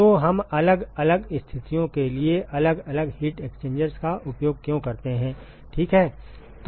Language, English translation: Hindi, So, why do we use different heat exchangers for different for different situations ok